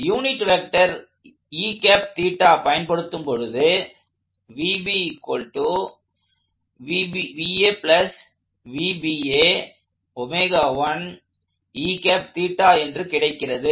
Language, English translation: Tamil, So, that happens to give me a unit vector that looks like that